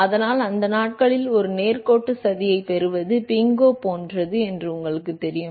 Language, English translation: Tamil, And so, in those days you know getting a straight line plot is like a bingo